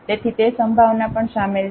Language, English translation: Gujarati, So, that possibility is also included